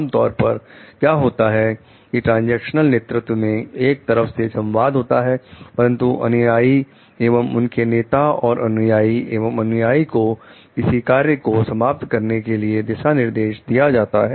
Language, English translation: Hindi, Generally, what happens in transactional leadership and there is one way communication between the followers and their leaders and the followers and the followers are given direction to complete the assigned task